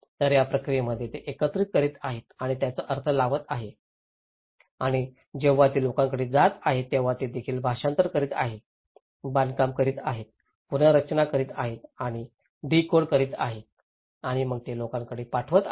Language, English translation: Marathi, So in this process, they are collecting and interpreting and then when they are passing it to the people they are also interpreting, constructing, reconstructing and decoding and then they are sending it to the people